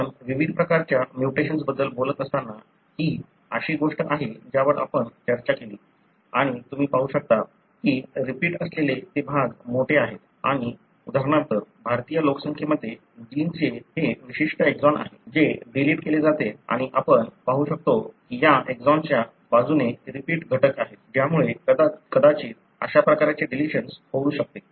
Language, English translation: Marathi, This is something that we discussed when we were talking about the different types of mutations and you can see that where are the regions that are, having the repeat region and what is known is, for example in Indian population, this particular exon of the gene, gets deleted and you can see that, have repeat elements flanking these exon, which may possibly result in such kind of deletions